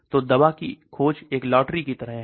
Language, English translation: Hindi, So drug discovery is like a lottery